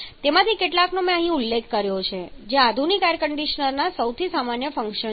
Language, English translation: Gujarati, Just a few of them I have mentioned here which are the most common functions of modern air conditioners